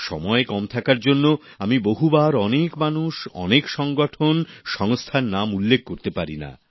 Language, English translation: Bengali, Many a time, on account of paucity of time I am unable to name a lot of people, organizations and institutions